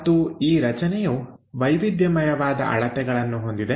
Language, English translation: Kannada, And this object is of different dimensions